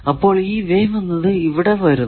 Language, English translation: Malayalam, So, this wave is coming here